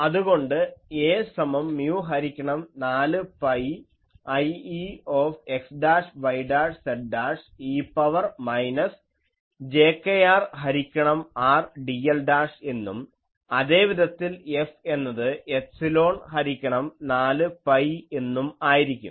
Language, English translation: Malayalam, So, A is equal to mu by 4 pi I e x dashed y dashed z dashed e to the power minus jkr by R dl dashed and F is equal to epsilon by 4 pi ok